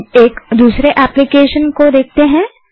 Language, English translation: Hindi, Now lets look at another application